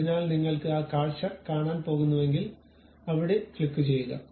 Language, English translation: Malayalam, So, if you are going to click that you are going to see that view